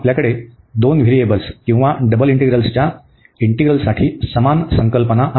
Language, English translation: Marathi, So, similar concept we have for the integral of two variables or the double integrals